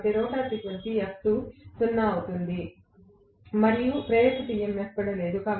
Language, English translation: Telugu, So F is equal to 0, F2 will be 0; the rotor frequency will be 0, so there is no induced EMF as well